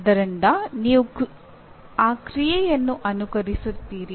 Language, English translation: Kannada, So you mimic that action